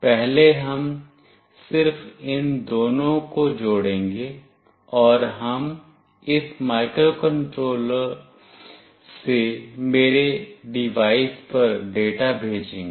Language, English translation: Hindi, First we will just connect these two, and we will send a data from this microcontroller to my device